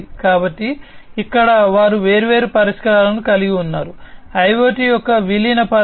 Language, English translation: Telugu, So, here also they have different solutions, in terms of incorporation of IoT